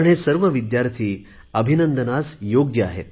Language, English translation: Marathi, All these students deserve hearty congratulations